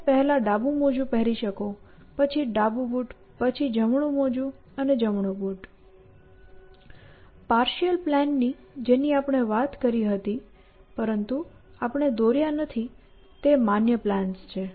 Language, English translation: Gujarati, left socks, then the left shoe, then the right socks, then the right shoe; all these minimizations of the partial plan that we talked about but we did not draw are valid plans